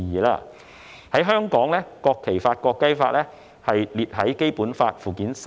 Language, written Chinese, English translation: Cantonese, 在香港，《國旗法》及《國徽法》載於《基本法》附件三。, In Hong Kongs case the National Flag Law and the National Emblem Law are contained in Annex III to the Basic Law